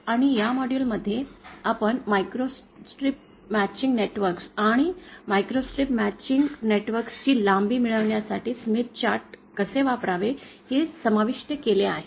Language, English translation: Marathi, And also in this module, we have covered about microstrip matching networks and how to use the Smith chart to opt in the lengths of these microstrip matching networks